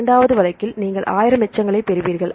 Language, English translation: Tamil, For the second case right you get 1,000 residues